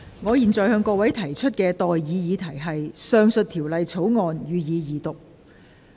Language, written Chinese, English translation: Cantonese, 我現在向各位提出的待議議題是：《2021年電訊條例草案》，予以二讀。, I now propose the question to you and that is That the Telecommunications Amendment Bill 2021 be read the Second time